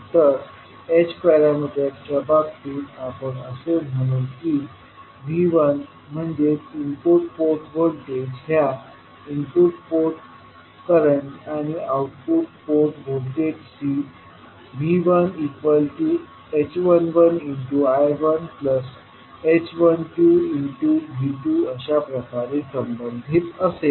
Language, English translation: Marathi, In case of h parameters we will say that V1 that is the input port voltage will be related to input port current and output port voltages in terms of h11 I1 plus h12 V2